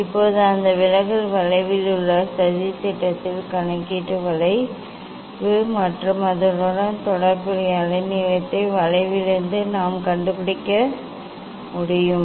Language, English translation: Tamil, Now, that deviation will put in the plot in the curve that is calculation curve and then corresponding wavelength we can find out from the curve